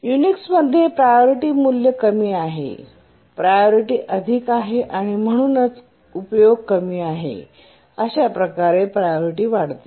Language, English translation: Marathi, Remember that in Unix, the lower is the priority value, the higher is the priority and therefore the utilization is low, the priority increases